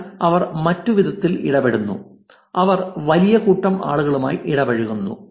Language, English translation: Malayalam, But they otherwise interact, they interact with the large set of people